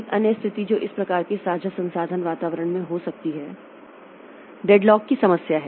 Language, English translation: Hindi, Another situation that can occur in this type of shared resource environment is the problem of deadlock